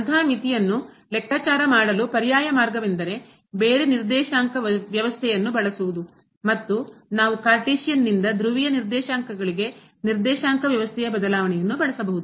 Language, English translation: Kannada, An alternative approach to compute such limit could be using a different coordinate system and we can use the change of coordinate system from Cartesian to Polar coordinates